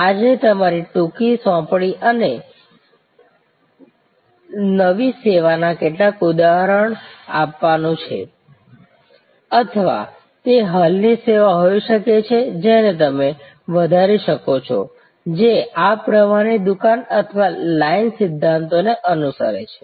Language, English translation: Gujarati, Your short assignment for today is to give me some example of a new service or it could be an existing service, which you can enhance, which follows these flow shop or line principle